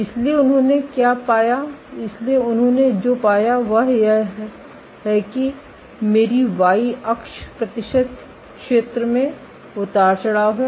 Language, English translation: Hindi, So, what they found, so what they found is this, so my y axis is percentage area fluctuation